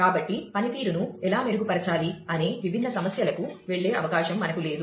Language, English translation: Telugu, So, we do not have it in the scope to going to different issues of, how to improve performance